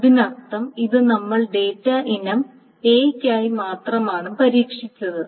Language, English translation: Malayalam, So that means this we have only tested it for data item A